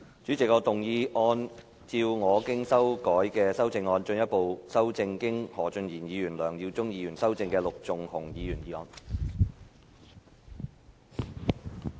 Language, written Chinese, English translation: Cantonese, 主席，我動議按照我經修改的修正案，進一步修正經何俊賢議員及梁耀忠議員修正的陸頌雄議員議案。, President I move that Mr LUK Chung - hungs motion as amended by Mr Steven HO and Mr LEUNG Yiu - chung be further amended by my revised amendment